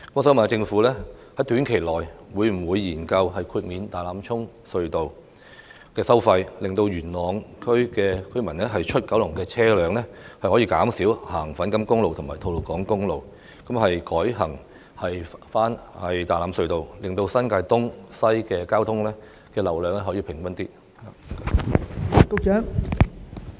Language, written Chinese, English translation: Cantonese, 請問政府在短期內會否研究豁免大欖隧道的收費，讓由元朗前往九龍的車輛可以減少使用粉錦公路和吐露港公路，改為取道大欖隧道，使新界東及新界西的交通流量分布更平均呢？, May I know whether in the short term the Government will consider waiving the tolls of Tai Lam Tunnel so that vehicles travelling from Yuen Long to Kowloon will make less use of Fan Kam Road and Tolo Highway and switch to Tai Lam Tunnel thus enabling a more even traffic distribution between East New Territories and West New Territories?